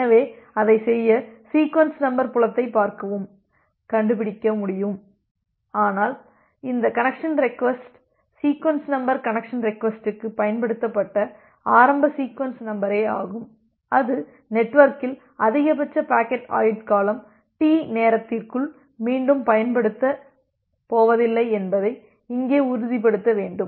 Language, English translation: Tamil, So, to do that it can look into the sequence number field and it can find it out, but we need to ensure here that this connection request sequence number, the initial sequence number that has been utilized for connection request, it is not going to re use within a time duration T which is the maximum packet life time in the network